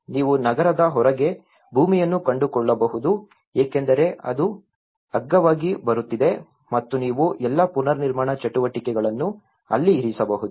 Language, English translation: Kannada, You might find a land outside of the city you might because it was coming for cheap and you might put all the reconstruction activity there